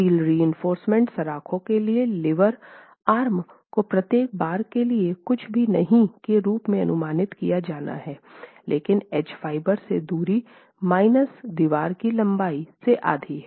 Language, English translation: Hindi, The lever arm for the steel reinforcement bars has to be estimated for each bar as nothing but the distance from the edge fiber minus half the length of the wall